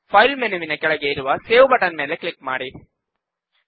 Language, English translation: Kannada, Click on the Save icon that is below the File menu